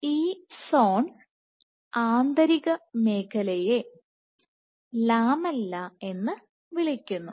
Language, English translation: Malayalam, And this zone internal zone is called the lamella